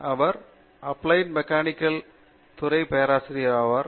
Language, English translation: Tamil, He is a professor in the Department of Applied Mechanics